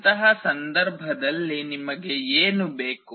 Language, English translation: Kannada, In that case what do you require